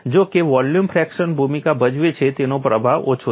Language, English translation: Gujarati, Though volume fraction plays a role, its influence is small